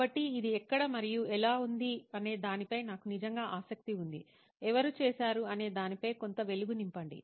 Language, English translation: Telugu, So I am really curious as to where and how is this, shade some light on who did